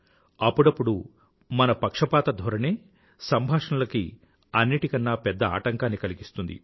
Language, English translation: Telugu, Sometimes our inhibitions or prejudices become a big hurdle in communication